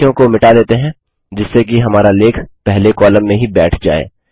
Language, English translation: Hindi, Let us delete some sentences so that our article fits in the first column only